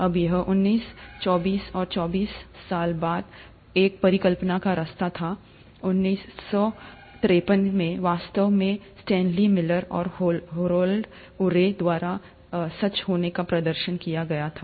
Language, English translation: Hindi, Now this was just a hypothesis way back in nineteen twenty nine and twenty four years later, in 1953, it was actually demonstrated to be true by Stanley Miller and Harold Urey